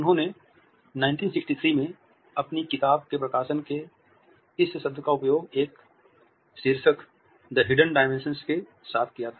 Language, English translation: Hindi, He had used this word in 1963 publication of his book with a title, The Hidden Dimension